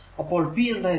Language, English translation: Malayalam, So, p is equal to v i